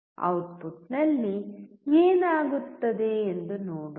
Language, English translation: Kannada, Let us see what happens at the output all right